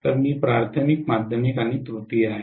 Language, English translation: Marathi, So I am having primary, secondary and tertiary